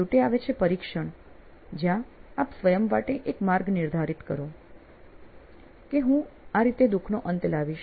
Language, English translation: Gujarati, Finally, is the testing peace where you set yourself a path saying this is how I am going to end their suffering